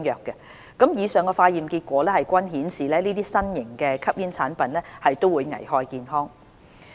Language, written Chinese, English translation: Cantonese, 以上的化驗結果均顯示，這些新型吸煙產品會危害健康。, All of the test results show that these new smoking products are harmful to health